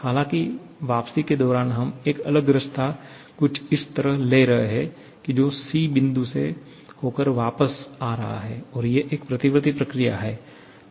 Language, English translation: Hindi, However, during return we are taking a different route something like this a ‘c’ which is again a reversible process